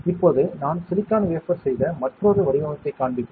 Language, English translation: Tamil, Now, I will show you another design which we have made on a silicon wafer